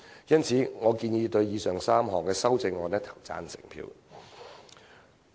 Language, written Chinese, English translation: Cantonese, 因此，我建議對以上3項修正案投贊成票。, Hence I recommend voting for the aforesaid three amendments